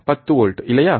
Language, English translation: Tamil, 10 volts, right